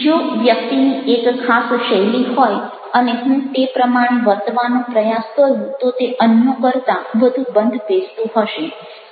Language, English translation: Gujarati, if a person ah having one particular style and if i am trying to behave that way, might, it might be more suitable then others